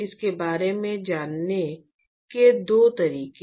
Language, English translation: Hindi, So, there are two ways to go about it